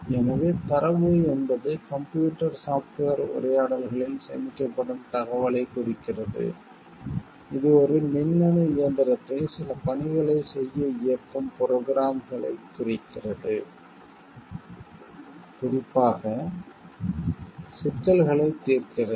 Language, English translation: Tamil, When you talking of data and software So, data denotes information which is stored in computer software talks refers to programs that direct an electronic machine to perform certain tasks specifically solving problems